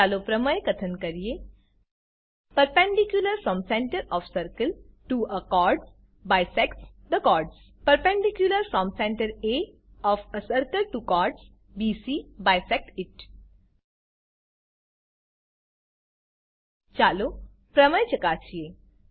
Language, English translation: Gujarati, Lets state a theorem Perpendicular from center of circle to a chord bisects the chord Perpendicular from the center A of a circle to chord BC bisects it Lets verify a theorem